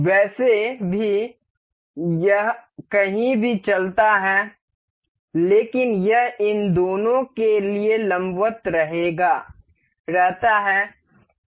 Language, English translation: Hindi, Anyway anywhere it moves, but it remains perpendicular to these two